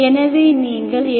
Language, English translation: Tamil, So what is your v